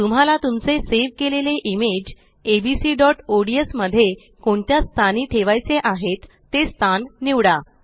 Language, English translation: Marathi, Select the location where you wish to place your saved image in abc.ods